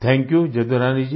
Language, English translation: Hindi, Thank You Jadurani Ji